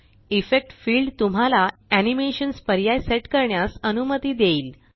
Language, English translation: Marathi, The Effect field allows you to set animations options